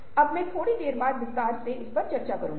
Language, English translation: Hindi, now i will discuss that a little later in detail